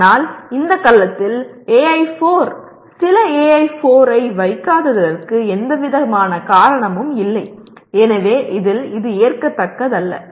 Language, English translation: Tamil, But there is no excuse for not putting AI4, some of the AI4 in this cell; in this, this is not acceptable